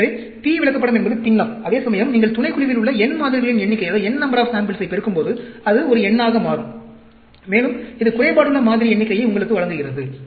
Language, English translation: Tamil, So, P chart is the fraction, whereas, when you multiply the n number of samples in the subgroup, then, it becomes a number, and that gives you sample count which are defective